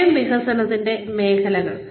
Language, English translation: Malayalam, Domains of self development